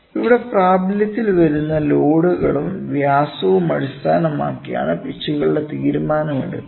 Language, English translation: Malayalam, So, here the pitches decision is taken based upon the loads which come into effect and also the diameter, ok